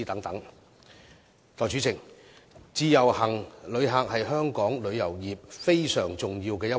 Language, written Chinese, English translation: Cantonese, 代理主席，自由行旅客是香港旅遊業非常重要的一環。, Deputy President visitors under the Individual Visit Scheme IVS are very important to Hong Kongs tourism industry